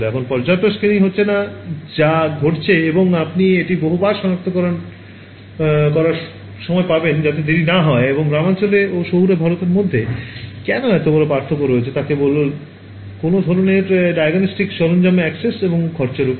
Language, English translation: Bengali, There is not enough screening that is happening and by the time you detect it many times it is too late right and why is there such a big difference between the rural and urban India is simply access and affordability of some kind of diagnostic tool that can tell catch this early on ok